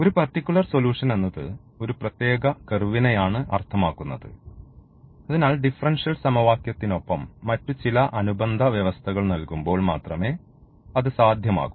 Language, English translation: Malayalam, So, but having a particular solutions means a particular curves, so that is possible only when some other supplementary conditions are supplied with the differential equation